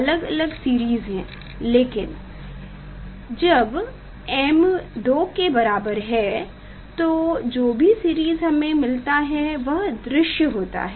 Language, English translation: Hindi, there are different series but this m equal to 2 for that the whatever series we observe that is that was in visible range